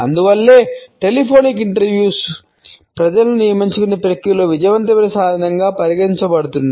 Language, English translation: Telugu, And that is why we find the telephonic interviews are still considered to be a successful tool in the process of hiring people